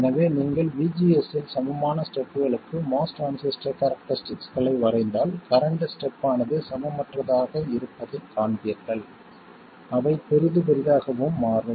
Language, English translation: Tamil, So if you draw a MOS transistor characteristics for equal steps in VGS you will see that the current steps will be unequal